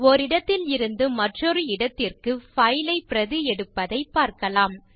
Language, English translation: Tamil, Let us see how to copy a file from one place to another